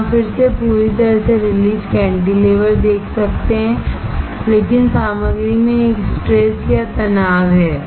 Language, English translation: Hindi, Here, you can see again a completely released cantilever, but there is a strain or stress in the material